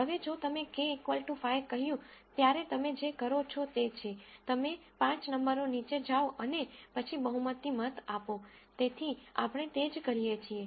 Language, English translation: Gujarati, Now if you said k is equal to 5 then what you do is, you go down to 5 numbers and then do the majority vote, so that is all we do